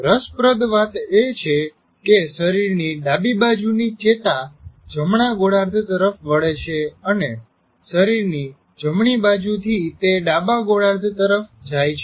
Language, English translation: Gujarati, Interestingly, nerves from the left side of the body cross over to the right hemisphere and those from the right side of the body cross over to the left hemisphere